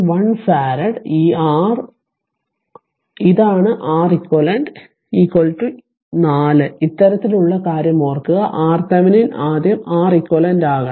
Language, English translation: Malayalam, 1 farad, and this R this is Req is equal to 4 remember for this kind of thing we have to make the R thevenin first equivalent right